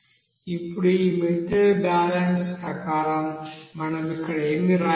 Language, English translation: Telugu, Now according to this material balance, what we can write here